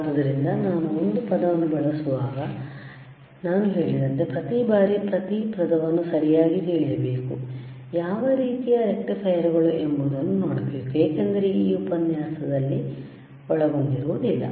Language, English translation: Kannada, So, when I use a word, like I said, every time when I am im pressing it very heavy on and each word, you have to go and you have to see what are kinds of rectifiers;, Bbecause it may not be covered in this particular lecture